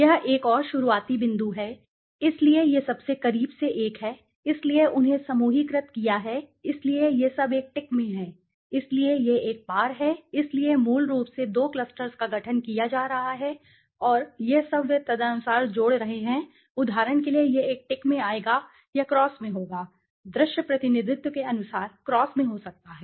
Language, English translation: Hindi, This is another starting point so closest one is this one to this so this is grouped them so this is all in the tick one right so this is the crossed one so the cross one this is the crossed one so this is the crossed one this is the crossed one so basically two clusters are being formed and all this are they are adding up accordingly now for example this one will it come in tick or cross may be in the cross